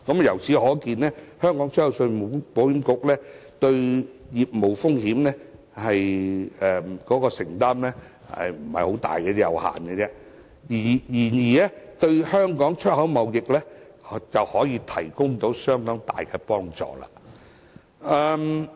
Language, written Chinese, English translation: Cantonese, 由此可見，信保局對業務風險的承擔不是太大，相當有限，卻可以為香港出口貿易提供相當大幫助。, These figures demonstrate that ECIC does not have to bear too much risk from its insurance business while offering enormous help to Hong Kongs export trade